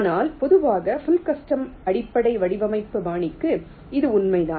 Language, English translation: Tamil, but in general for full custom base design style, this is true